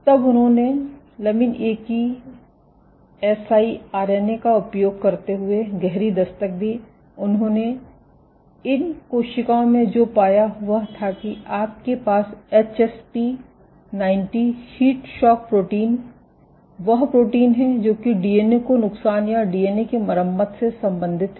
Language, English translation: Hindi, So, when they did a deep knockdown of lamin A using siRNA, what they found was in these cells, you have this HSP90 heat shock protein is a protein which is associated with DNA damage or DNA repair expression of HSP90 was significantly dropped